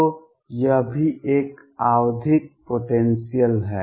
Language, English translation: Hindi, So, this is also a periodic potential